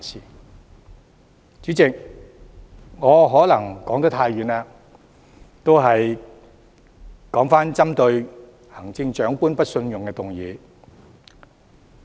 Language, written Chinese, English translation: Cantonese, 代理主席，我可能說得太遠，現在回到針對行政長官提出的不信任議案。, Deputy President I may have gone far off topic and will now come back to the motion of no confidence proposed against the Chief Executive